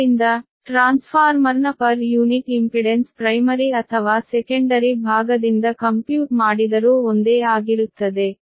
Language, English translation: Kannada, therefore, per unit impedance of a transformer is the same, whether co, whether computed from primary or secondary side